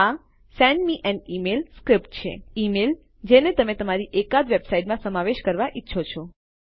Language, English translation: Gujarati, This one will just be send me an email script the email that you want to include in one of your website